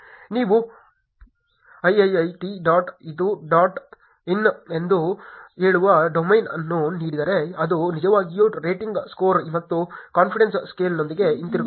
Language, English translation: Kannada, If you give domain saying iiit dot edu dot in, it will actually come back with the rating scale and a confidence scale